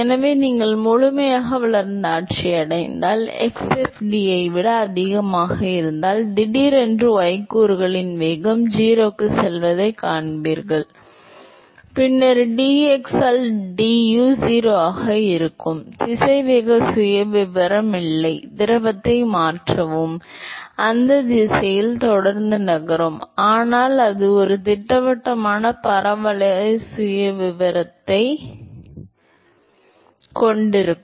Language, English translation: Tamil, So, then if x is greater than x fd if you reach the fully developed regime, so, suddenly you will see that the y component velocity goes to 0 and then will have du by dx also will be 0, the velocity profile does not change the fluid will continued to move in that direction, but it will have a definite parabolic profile